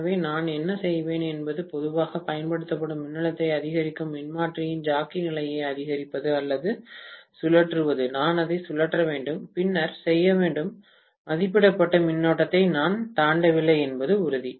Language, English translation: Tamil, So, what I will do is slowly increase the voltage applied by increasing the jockey position of the transformer or rotate, I have to rotate it and then make sure that I don’t exceed the rated current